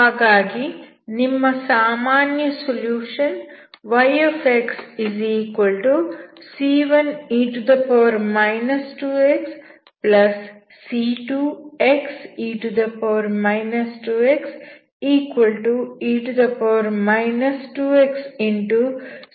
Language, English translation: Kannada, So your general solution is y =c1 e−2 x+c2 x e−2 x=e−2 x( c1+x c2)